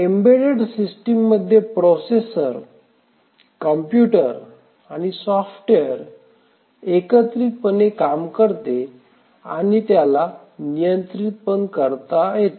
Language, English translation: Marathi, The embedded systems are the ones where the processor, the computer, the software is part of the system and it controls the system